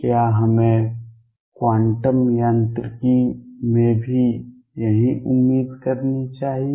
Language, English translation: Hindi, Should we expect the same thing in quantum mechanics